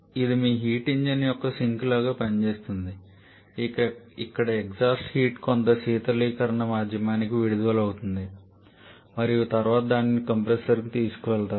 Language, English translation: Telugu, This is act like the sink of your heat engine where the exhaust heat is released to certain cooling medium and then it is taken back to the compressor